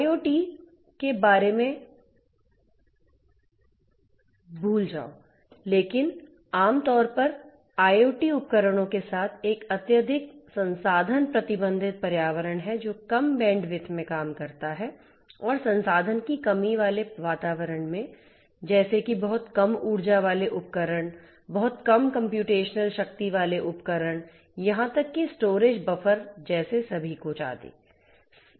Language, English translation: Hindi, Forget about IIoT, but IoT in general is a highly resource constrained environment with devices which operate in low bandwidth and in resource constrained environment such as you know devices having very low energy, the devices having very low computational power, the you know every everything like even the storage the buffer etcetera; everything is highly constrained right